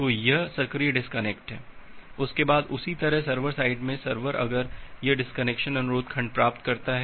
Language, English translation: Hindi, So, it is the active disconnection after that similarly at the server side the server, if it receive the disconnection request segment